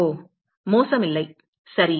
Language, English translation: Tamil, Oh not bad ok